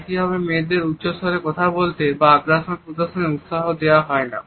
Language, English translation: Bengali, Similarly girls are encouraged not to talk loudly or to show aggression